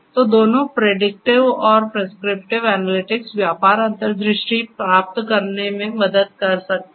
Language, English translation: Hindi, So, both predictive and prescriptive analytics can help in getting business insights and so on